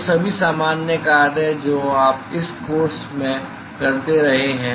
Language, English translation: Hindi, So, all the usual thing that you have been doing in this course